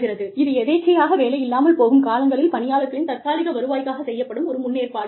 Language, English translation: Tamil, It is the provision of, temporary income for people, during periods of involuntary unemployment